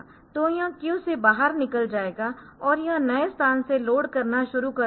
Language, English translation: Hindi, So, it will flush out the queue and it will start loading from the new location average